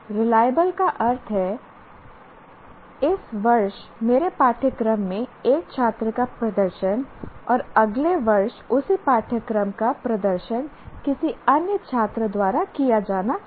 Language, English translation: Hindi, Reliable means the performance of a student in my course this year and the performance of the same course next year by another student are comparable